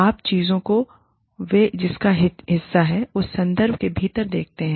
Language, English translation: Hindi, You look at things, within the context, that they are a part of